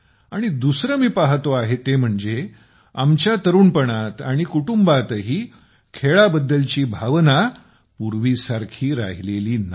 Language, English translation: Marathi, And secondly, I am seeing that our youth and even in our families also do not have that feeling towards sports which was there earlier